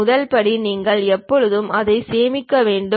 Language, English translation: Tamil, The first step is you always have to save it